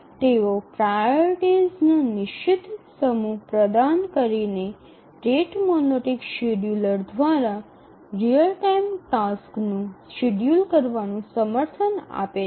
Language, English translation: Gujarati, They support real time tasks scheduling through the rate monotonic scheduler by providing a fixed set of priorities